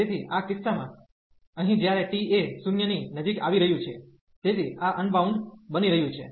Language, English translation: Gujarati, So, in this case here the when t is approaching to 0, so this is becoming unbounded